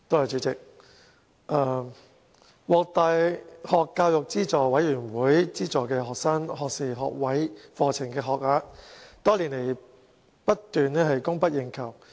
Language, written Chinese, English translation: Cantonese, 主席，獲大學教育資助委員會資助的學士學位課程的學額多年來供不應求。, President the places of undergraduate programmes funded by the University Grants Committee have been in short supply for a number of years